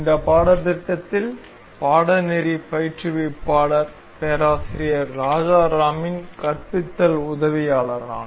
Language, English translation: Tamil, I am the teaching assistant to the course instructor Professor Rajaram in this course